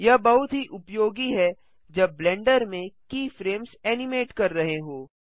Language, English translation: Hindi, This is very useful while animating keyframes in Blender